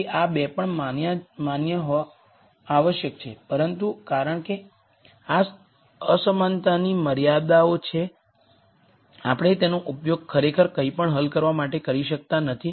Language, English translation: Gujarati, So, these 2 also have to be valid, but because these are inequality constraints we cannot actually use them to solve for anything